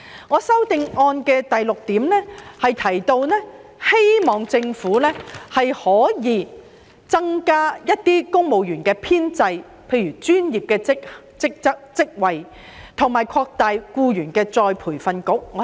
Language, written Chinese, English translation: Cantonese, 我在第六點提到，希望政府可以增加公務員編制，包括專業職位，以及擴大僱員再培訓局的有關計劃。, As I have mentioned in point 6 I hope that the Government will beef up civil service establishment including professional posts and extend the relevant scheme of the Employees Retraining Board